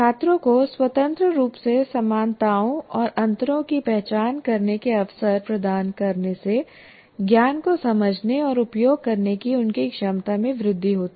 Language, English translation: Hindi, Providing opportunities to students independently identifying similarities and differences enhances their ability to understand and use knowledge